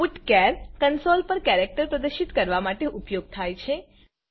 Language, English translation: Gujarati, putchar is used to display a character on the console